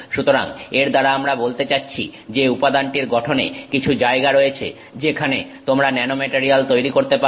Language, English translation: Bengali, So, by that we mean that that material has in its structure some locations where you can grow the nanomaterial, okay